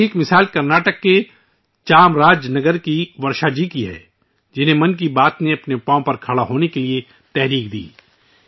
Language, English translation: Urdu, One such example is that of Varshaji of Chamarajanagar, Karnataka, who was inspired by 'Mann Ki Baat' to stand on her own feet